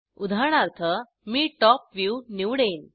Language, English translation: Marathi, For example, I will choose Top view